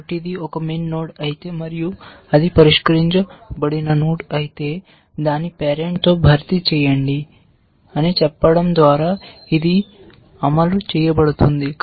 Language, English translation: Telugu, So, this is implemented by saying that, if it is a min node and if it is a solved node then, just replace it with its parent